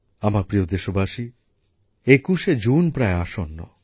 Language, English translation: Bengali, My dear countrymen, 21st June is also round the corner